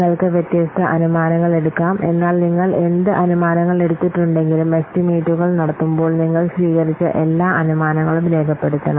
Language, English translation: Malayalam, You may take different assumptions, but whatever assumptions you have taken, so you have to document all the assumptions made when making the estimates